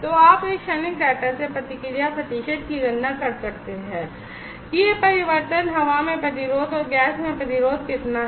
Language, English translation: Hindi, So, you can calculate the response percent from this transient data that how much is this change resistance in air and resistance in gas